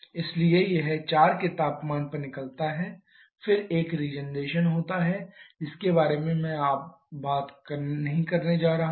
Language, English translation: Hindi, Because of the lowering in the temperature so it comes out at temperature for then there is a regeneration I am not going to talk about that now